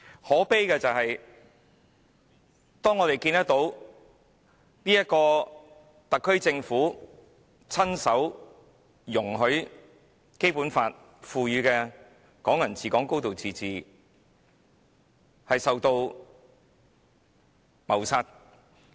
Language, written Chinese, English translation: Cantonese, 可悲的是，我們看到特區政府親手容許《基本法》賦予的"港人治港"、"高度自治"被謀殺。, What is most lamentable is that we see the SAR Government allow the principles of Hong Kong people ruling Hong Kong and a high degree of autonomy conferred by the Basic Law to be killed by its own hands